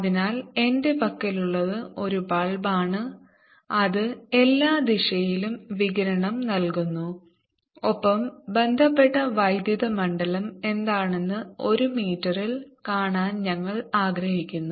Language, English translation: Malayalam, so what i have is a bulk here which is giving out radiation in all the direction and we want to see at one meter, what is the associated electric field